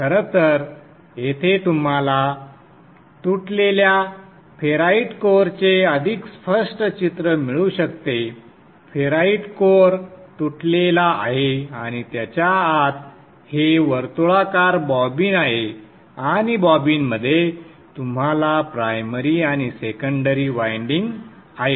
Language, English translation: Marathi, You see that the ferrite core is broken and within that is the former this is a circular bobbin and within the bobbin you have the windings primary and the secondary windings